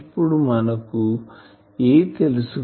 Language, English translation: Telugu, So, if we do that we know A